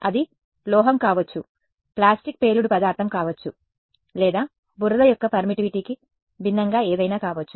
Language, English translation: Telugu, It could be a metal, it could be plastic explosive or whatever is different from the permittivity of mud